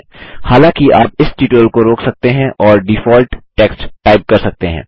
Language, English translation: Hindi, However, you can pause this tutorial, and type the default text